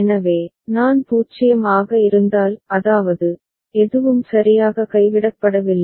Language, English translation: Tamil, So, if I is 0; that means, nothing has been dropped ok